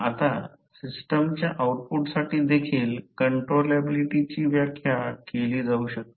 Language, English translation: Marathi, Now, controllability can also be defined for the outputs of the system